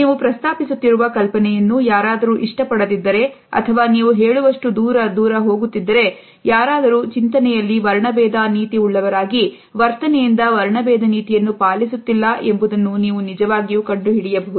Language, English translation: Kannada, You can actually find out if someone does not like an idea that you are proposing or even go as far as to say, if someone is thoughtfully racist, but they are not behaviorally racist